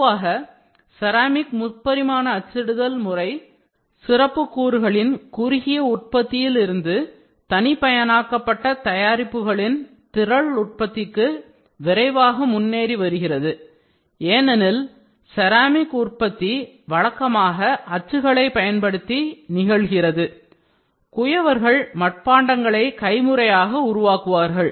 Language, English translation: Tamil, In general, ceramic 3D printing is quickly progressing from the short run production of specialist components to the mass production of customized products because ceramic production is usually happened using molds and the manual kind of potters used to develop parts using ceramics